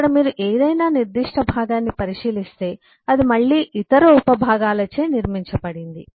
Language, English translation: Telugu, if you look into any specific component here, that again is built up by other subcomponents